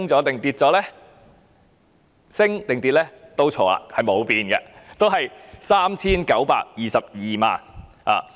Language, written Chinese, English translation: Cantonese, 認為上升或下跌的都猜錯，因為是沒有變的，依然是 3,922 萬元。, You are wrong whether you say that there is an increase or a decrease for it remains unchanged at 39.22 million